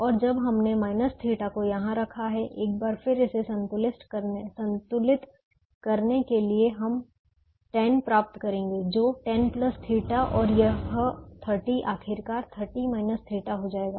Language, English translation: Hindi, and since we have put a minus theta here, once again to balance this, we will get ten becomes ten plus theta and this thirty will finally become thirty minus theta